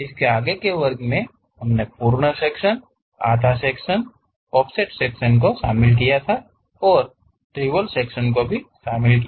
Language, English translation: Hindi, In the last class, we have covered full section, half section and offset section and also revolved sections